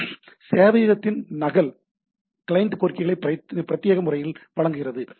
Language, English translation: Tamil, So a copy of server caters to the client requests in a dedicated fashion